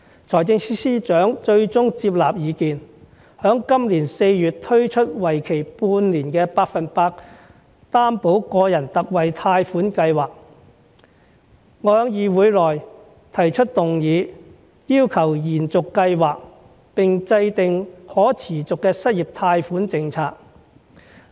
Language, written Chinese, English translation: Cantonese, 財政司司長最終接納意見，在今年4月推出為期半年的百分百擔保個人特惠貸款計劃，我在議會內提出議案，要求延續計劃，並制訂可持續的失業貸款政策。, The Financial Secretary eventually accepted my view and launched a six - month 100 % Personal Loan Guarantee Scheme in April this year . I then moved a motion in this Council on extending the Scheme and formulating a policy on a sustainable unemployment loan